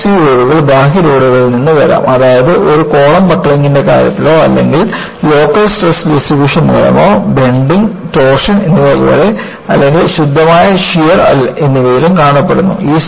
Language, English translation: Malayalam, The compressive loads can come from external loads that is, obviously, seen in the case of a column buckling or due to local stress distribution as in bending, torsion or even in, pure shear